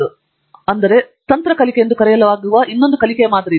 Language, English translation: Kannada, Then, there is also another learning paradigm called Strategic learning